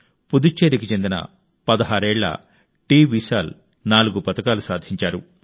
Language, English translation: Telugu, 16 year old TVishal from Puducherry won 4 medals